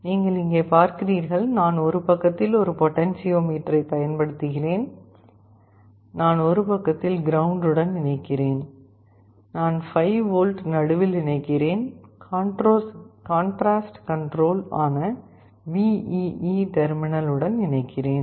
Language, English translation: Tamil, You see here, I am using a potentiometer on one side, I am connecting ground on one side, I am connecting 5 volt the middle point, I am connecting to the VEE terminal that is the contrast control